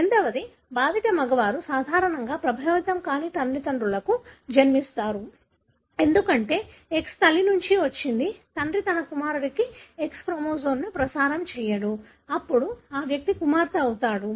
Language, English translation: Telugu, The second is that affected males are usually born to unaffected parents, because the X has come from mother; father will not transmit X chromosome to son, then that individual becomes daughter